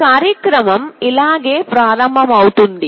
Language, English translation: Telugu, The program will start like this